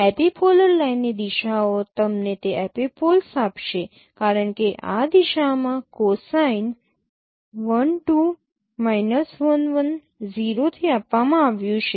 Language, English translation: Gujarati, The directions itself, direction of epipolar line itself will give you that epipoles because that is what its direction cosine is given in this form L2 minus L1 and that is what is the 0